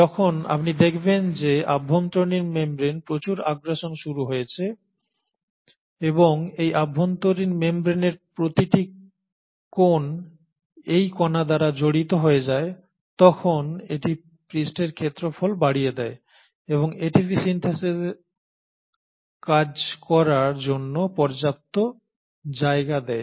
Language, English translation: Bengali, And you find that when you have so much of invagination of the inner membrane and every nook and corner of this inner membrane gets studded by this particle, it increases the surface area and it provides sufficient positioning of this ATP Synthase to work